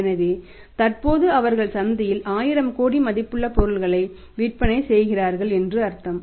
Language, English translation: Tamil, So, it means currently they are selling for 1000 crore worth of goods in the market